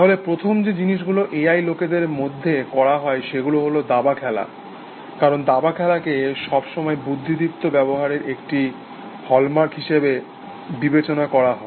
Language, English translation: Bengali, So, what are the first things that A I people got into was, things like chess playing essentially, because chess playing was always considered to be a hallmark of intelligent behaviors essentially